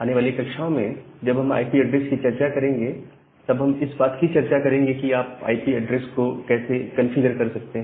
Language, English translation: Hindi, In the subsequent lecture, whenever we discuss about IP layer, we will discuss about how you can configure these IP addresses